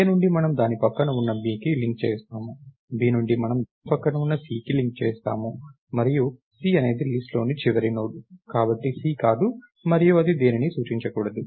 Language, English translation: Telugu, From A we link its next to B, from B we link its next to C, and C is the not so C is the last Node in the list, and we don't what it to point anything